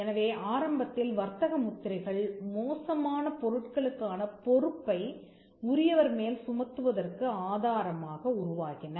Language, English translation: Tamil, So, initially trademarks evolved as a source of attributing liability for bad goods